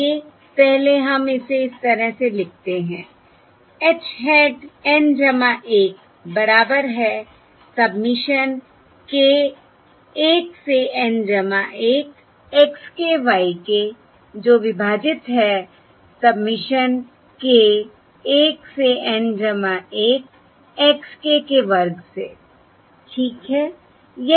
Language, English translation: Hindi, Let us first write it in this way: h hat of N plus 1 equals submission k equal to 1 to N, x k plus 1